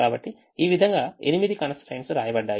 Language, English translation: Telugu, so like this the eight constraints are written